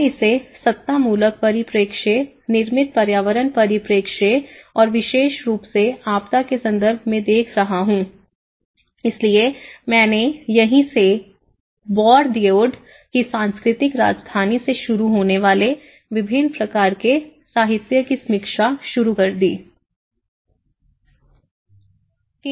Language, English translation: Hindi, I am looking from my ontological perspective, the built environment perspective and especially, in a disaster context, so that is where I started reviewing a variety of literature starting from Bourdieu’s cultural capital